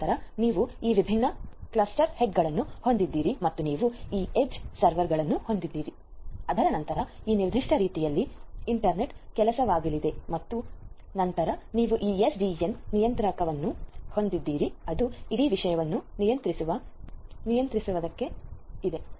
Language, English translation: Kannada, And then you have these different cluster heads and you have these edge servers there after which are going to be internet work in this particular manner and then you have this SDN controller which is sitting on top in order to control the entire thing